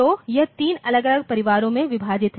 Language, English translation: Hindi, So, it is divided into three different families, ok